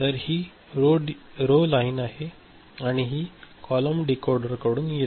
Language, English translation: Marathi, So, this is the row line and this is coming from a column decoder